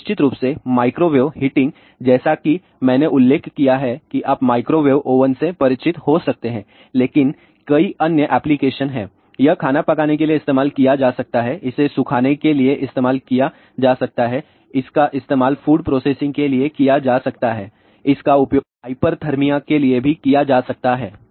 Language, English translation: Hindi, And, of course, microwave heating as I mention you may be familiar with the microwave oven, but there are many other applications are there it can be use for cooking it can be use for drying it can be use for food processing it can be even use for hyperthermia